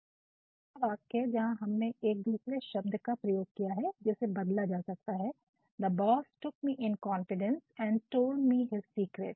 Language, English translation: Hindi, Again, the second sentence, where we have made use of a different word which can be changed, ‘the boss took me into confidence and told me his secret